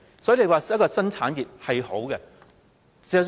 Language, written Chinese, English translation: Cantonese, 所以，發展新產業是好事。, Hence it is desirable to develop new industries